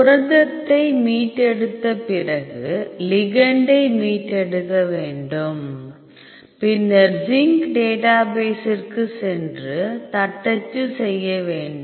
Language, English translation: Tamil, So, once you retrieve the protein then you have to retrieve the ligand, then go to zinc database then type